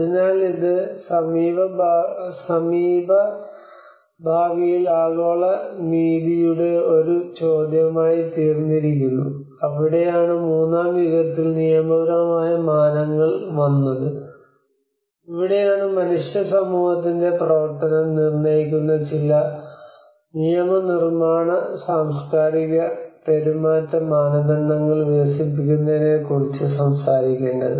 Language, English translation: Malayalam, So this is become a question of global justice in the near future that is where the legal dimension came in third era which is, and this is where we need to talk about develop of certain legislative cultural and behavioral norms which determine the functioning of human society and how the interactions between nature and society were created